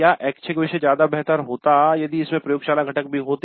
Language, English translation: Hindi, The value of the elective would have been better if it had a laboratory component also